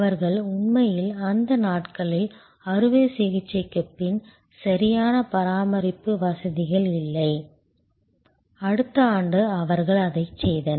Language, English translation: Tamil, They actually in those days did not have proper post operative care facilities, next year they added that